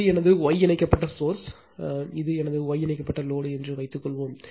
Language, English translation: Tamil, Suppose, this is my star connected source and this is my star connected load right